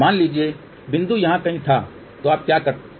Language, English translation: Hindi, Suppose the point was somewhere here then what you can do